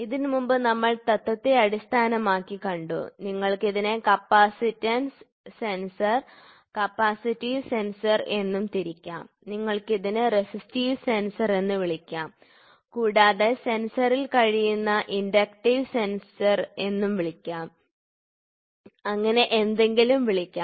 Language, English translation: Malayalam, So, before that we also saw based upon the principle, you can also classify it as capacitance sensor capacitive sensor, you can cell it as resistive sensor and you can also call it as inductive sensor you can call anyone of the sensor